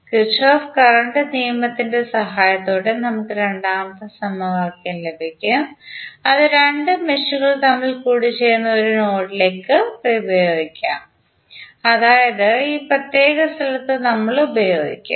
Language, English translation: Malayalam, We will get the second equation with the help of Kirchhoff Current Law which we will apply to a node where two meshes intersect that means we will apply at this particular point